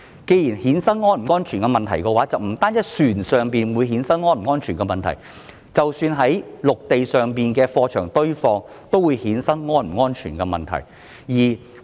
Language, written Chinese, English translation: Cantonese, 既然如此，那便不單是船上的情況，即使在陸地上例如貨櫃堆場，同樣會衍生安全問題。, In the light of this there may be safety issues for containers not only on board vessels but also on land such as container yards